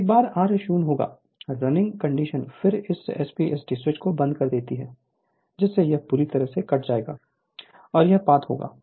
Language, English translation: Hindi, Once r is 0 right; the running condition then you close this SP ST switch such that this will be completely cut off and this will the path right